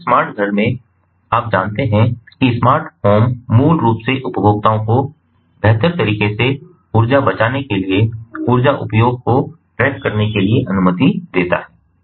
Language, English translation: Hindi, so in a smart home, the ah, ah, you know, smart home basically allows the consumers to trace sorry, to track the energy use in detail to save energy in a better way, ah